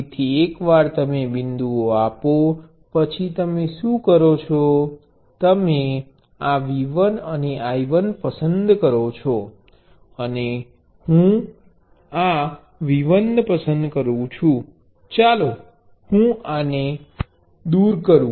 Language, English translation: Gujarati, So, once you have given the dots, what you do is let say you choose V 1 and I 1 like this, let me remove this one